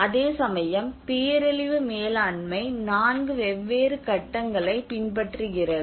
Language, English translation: Tamil, Whereas the disaster management follows four different phases